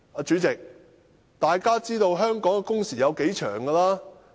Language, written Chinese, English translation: Cantonese, 主席，大家也知道香港的工時有多長。, President we all know how long the working hours in Hong Kong are